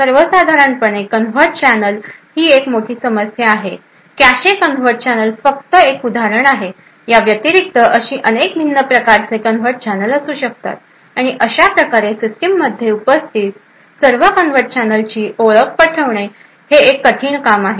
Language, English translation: Marathi, Covert channels in general are a big problem the cache covert channels are just one example in addition to this there could be several other different types of covert channels and thus identifying all the covert channels present in the system is quite a difficult task